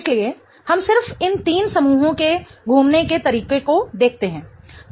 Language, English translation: Hindi, So, we just look at the way these three groups are rotating